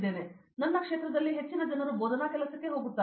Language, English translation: Kannada, So, most of the guys in my field are going for a teaching job